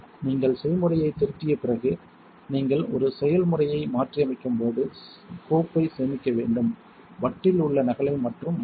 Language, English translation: Tamil, After you are done editing recipe you must save the file when you modify a process you only change the copy on the disk